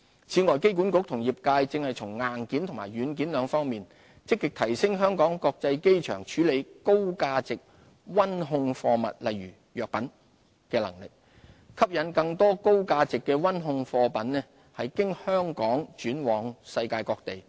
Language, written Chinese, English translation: Cantonese, 此外，機管局與業界現正從硬件及軟件兩方面積極提升香港國際機場處理高價值溫控貨物的能力，吸引更多高價值的溫控貨物經香港轉運往世界各地。, AA and the industry are striving to enhance HKIAs capacity to handle high - value temperature - controlled goods such as pharmaceuticals by upgrading hardware and software so as to attract more trans - shipment of such goods via Hong Kong